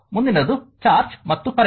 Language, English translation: Kannada, Next is the charge and current